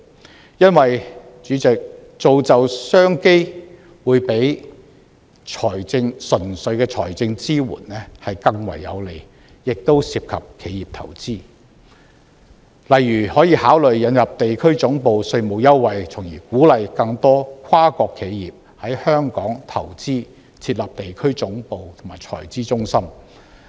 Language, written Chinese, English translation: Cantonese, 主席，因為造就商機會較純粹的財政支援更為有利，亦涉及企業投資，例如可考慮引入地區總部稅務優惠，從而鼓勵更多跨國企業在香港投資、設立地區總部和財資中心。, Chairman creating business opportunities is more beneficial than simply providing financial support . It will also encourage business investment from enterprises . For instance the Government can consider introducing tax concessions for enterprises which set up their international headquarters here so as to encourage more multinational corporations to invest in Hong Kong and set up their regional headquarter and financing centre here